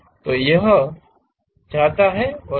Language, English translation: Hindi, So, it goes and this